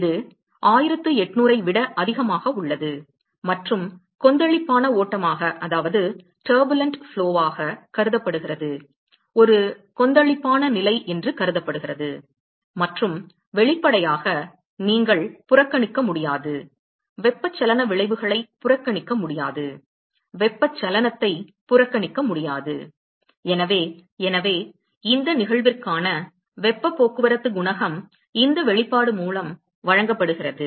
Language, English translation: Tamil, And this is about greater than 1800 and considered to be a turbulent flow; considered to be a turbulent condition and; obviously, you cannot neglect cannot ignore convection effects cannot ignore convection and so, the heat transport coefficient for this case is given by this expression